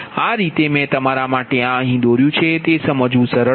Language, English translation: Gujarati, this way i have drawn for you such that it will be easy to understand, right